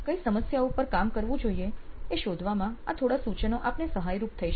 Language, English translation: Gujarati, So, these are some tips that can help you in figuring out which of these problems should I work on